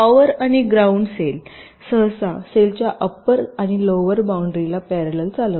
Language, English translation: Marathi, the power and ground rails typically run parallel to upper and lower boundaries of the cells